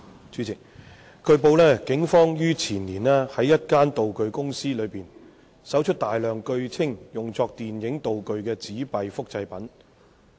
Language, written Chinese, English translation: Cantonese, 主席，據報，警方於前年在一間道具公司內搜出大量據稱用作電影道具的紙幣複製品。, President it has been reported that in the year before last the Police found in a props company a large number of replica banknotes which were claimed to be used as film props